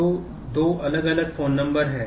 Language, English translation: Hindi, So, there are two different phone numbers